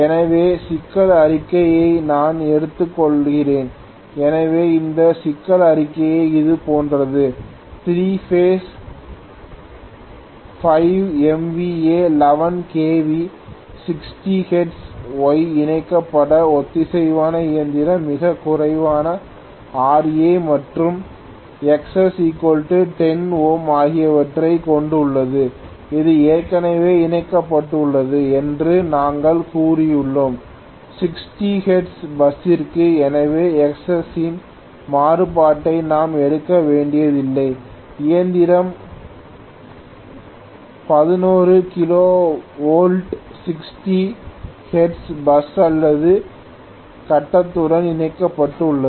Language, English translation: Tamil, So let me take up the problem statement, so this problem statement is somewhat like this, a 3 phase 5 MVA, 11 kV, 60 hertz Y connected synchronous machine has negligible Ra and Xs equal to 10 ohm okay and we have said it is already connected to a 60 hertz bus, so we do not have to take a variation of Xs at all okay, the machine is connected to a 60 11 kv 60 hertz bus or grid okay